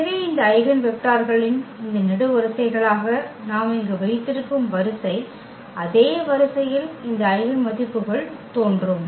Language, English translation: Tamil, So, the order we keep here placing as these columns of these eigenvectors in the same order these eigenvalues will appear